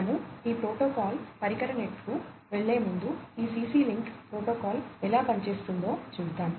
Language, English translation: Telugu, So, before we go to this protocol device net we will go through overall how this CC link protocol works